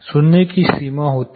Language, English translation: Hindi, There is threshold of hearing